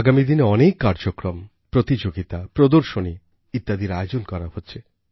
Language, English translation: Bengali, In the times to come, many programmes, competitions & exhibitions have been planned